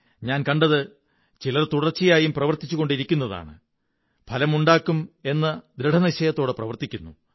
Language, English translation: Malayalam, I have seen that some people are continuously working and are determined to bring out results